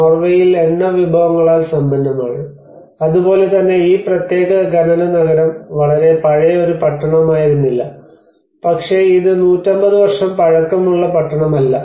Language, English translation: Malayalam, So whereas in Norway it is rich in oil resources so similarly this particular mining town has been not a very old town, but it is hardly 150year old town